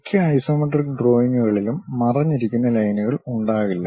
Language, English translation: Malayalam, Most isometric drawings will not have hidden lines